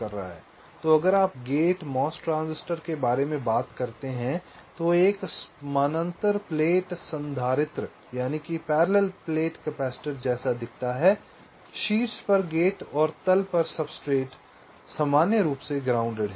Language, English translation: Hindi, so if you thing about the gate mos transistor, there is a that looks like a parallel plate capacitor gate on top and the substrate at bottom substrate is normally grounded